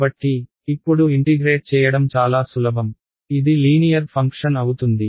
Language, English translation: Telugu, So, it was very simple to integrate now it will be a linear function right